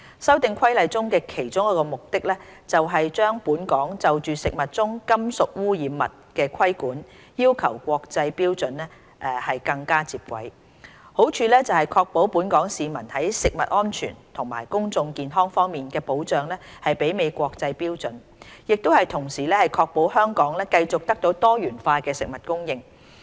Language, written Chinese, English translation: Cantonese, 《修訂規例》的其中一個目的，是把本港就食物中金屬污染物的規管要求與國際標準更接軌，好處是確保本港市民在食物安全及公眾健康方面的保障媲美國際標準，亦同時確保香港繼續得到多元化的食物供應。, One of the objectives of the Amendment Regulation is to better align the regulatory requirements for metallic contaminants in food in Hong Kong with the international standards . The merit of doing so is to ensure the protection afforded to the local population in terms of food safety and public health is on a par with international standards while also securing Hong Kong with continuous and diversified food supply